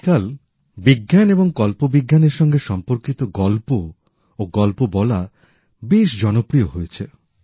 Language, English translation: Bengali, These days, stories and storytelling based on science and science fiction are gaining popularity